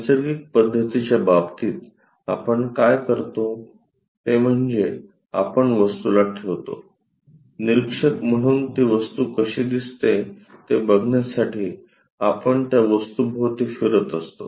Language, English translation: Marathi, In case of Natural method, what we do is we keep the object as an observer, we walk around that object, by looking at that object how it really looks like